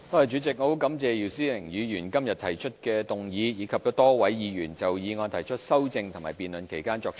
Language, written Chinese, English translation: Cantonese, 主席，我很感謝姚思榮議員今天提出議案，以及多位議員就議案提出修正案並在辯論期間作出發言。, President I am very grateful to Mr YIU Si - wing for moving the motion today and to Members for proposing amendments and speaking in the debate